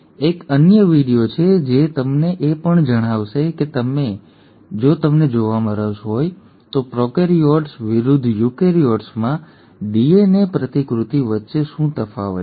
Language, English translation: Gujarati, There is another video which also will tell you if you are interested to know, what is the difference between DNA replication in prokaryotes versus eukaryotes